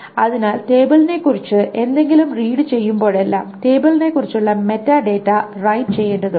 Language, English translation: Malayalam, So whenever anything about the table is read, the metadata about the table needs to be written